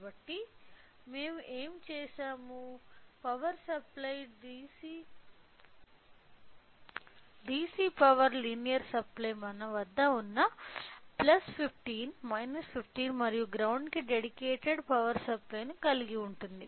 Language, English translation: Telugu, So, what we have made, the power supply the DC power linear supply that we have has a dedicated power source for plus 15 minus 15 and ground